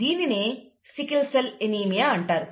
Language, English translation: Telugu, And therefore, we get sickle cell anaemia, right